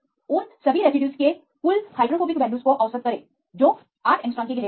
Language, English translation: Hindi, Average the total hydrophobic values of all the residues which are occurring within the limit of 8 angstrom